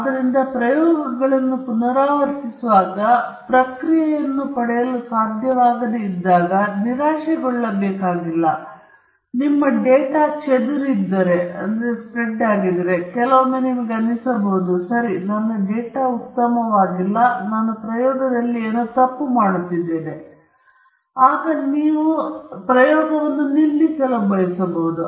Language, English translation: Kannada, So you don’t have to get frustrated when you are unable to identically get the response when you repeat the experiments, and if there is scatter in your data, sometimes you may feel – ok, my data is not good and I am doing something wrong in the experimentation, so you may want to stop